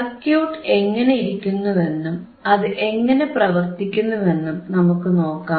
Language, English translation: Malayalam, So, we have to see we have to see how the circuit looks like and then we will see how it works ok